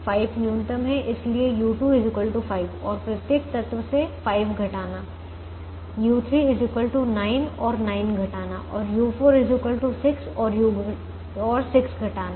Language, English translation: Hindi, five happens to be the minimum, so u two equal to five, and subtracting five, u three equal to nine and subtracting nine and u four equal to six and subtracting six from every element